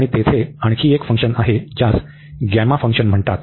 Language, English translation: Marathi, And there is another function it is called gamma function